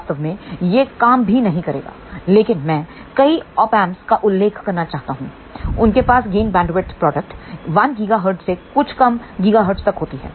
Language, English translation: Hindi, In fact, it will not even work, but I want to mention there are several Op Amps; they have a gain bandwidth product of 1 gigahertz to even a few gigahertz